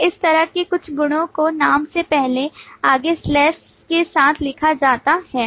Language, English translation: Hindi, Then some properties like this one is written with a forward slash before the name